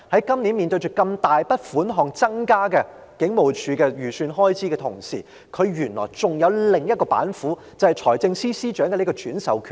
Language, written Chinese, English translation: Cantonese, 今年預算案中警務處的開支預算獲如此大的增幅，而原來警隊還有另一道板斧，就是財政司司長可轉授上述的權力。, The Estimate of Expenditure for the Police Force in the Budget this year has seen a big increase but actually the Police Force have another trick up its sleeve namely the delegated power by the Financial Secretary as mentioned before